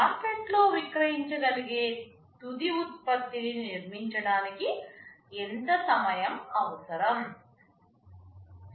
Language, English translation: Telugu, How much time it is required to build a finished product that can be sold in the market